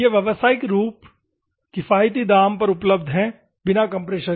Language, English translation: Hindi, These are commercially available at economic prize excluding the compressor